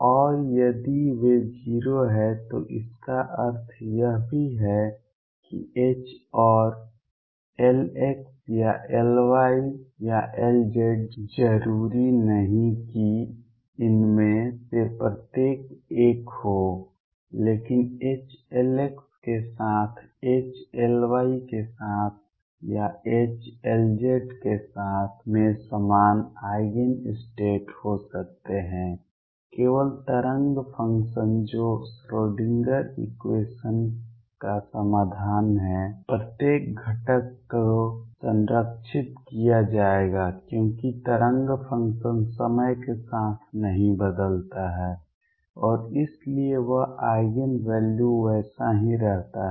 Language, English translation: Hindi, And if they are 0 this also implies that H and L x or L y or L z not necessarily each one of these, but H with L x H with L y or H with L z can have common eigen states then only the wave function that is a solution of the Schrodinger equation would have the each component being conserved, because the wave function does not change with time and therefore, that eigen value remains the same